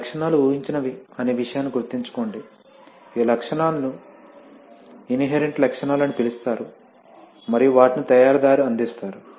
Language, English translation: Telugu, Remember one thing that these characteristics have assumed, that these characteristics are called inherent characteristics and are provided by the manufacturer